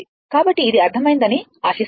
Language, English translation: Telugu, So, hope this is understandable to you